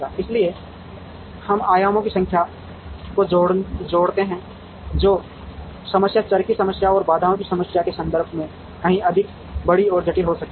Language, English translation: Hindi, So, we add the number of dimensions the problem becomes far more bigger and complicated in terms of number of variables and in terms of number of constraints